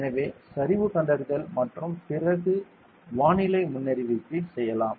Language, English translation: Tamil, So, slope detection everything then we can do the weather forecast ok